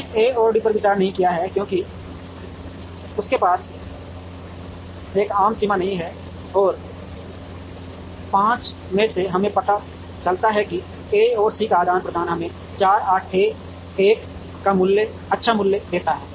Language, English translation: Hindi, We have not considered A and D, because they do not have a common border, and out of the 5 we realize that exchanging A and C gives us a good value of 4 81